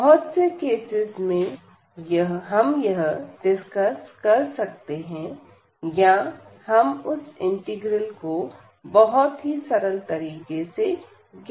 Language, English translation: Hindi, So, in many cases we can discuss that or we can compute that integral in a very simple fashion